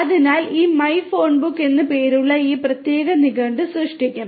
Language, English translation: Malayalam, So, this will create this particular dictionary named my phonebook